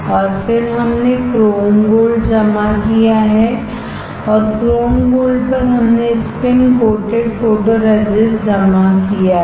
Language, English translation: Hindi, And then we have deposited chrome gold, and on chrome gold we have deposited spin coated photoresist